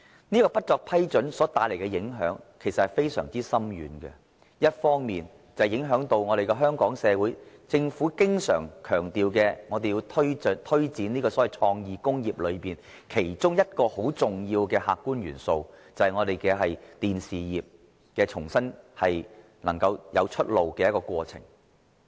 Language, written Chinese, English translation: Cantonese, 此舉所帶來的影響其實非常深遠，一方面影響到香港政府經常強調，香港社會要推展所謂創意工業裏中一個很重要的客觀元素，就是重新讓電視業能夠有新出路。, It had far - reaching impacts . First it had affected the objective element that the Hong Kong Government has all along been emphasizing in the promotion of its creative industry that is to allow the new way out for Hong Kongs television industry